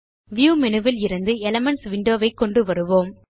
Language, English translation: Tamil, Let us bring up the Elements window from the View menu